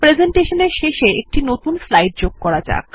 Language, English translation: Bengali, Insert a new slide at the end of the presentation